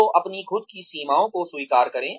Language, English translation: Hindi, So, admit your own limitations